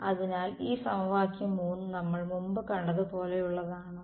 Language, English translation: Malayalam, So, does this equation 3 look like does it look like something that we have seen before